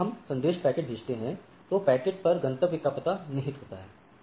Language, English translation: Hindi, So, when I am I am sending a packet the packet has a destination address